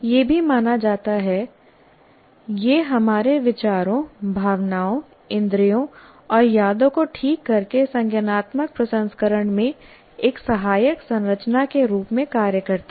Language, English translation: Hindi, It is also believed it also acts as a support structure in cognitive processing by fine tuning our thoughts, emotions, senses and memories